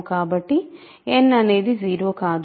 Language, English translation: Telugu, So n is not 0